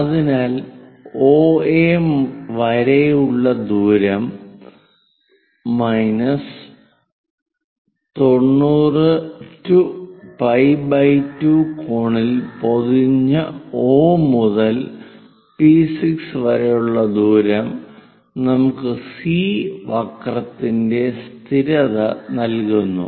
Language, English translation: Malayalam, So, the distance from O to A minus distance O to P6 covered in 90 degrees pi by 2 angle which gives us a constant of the curve C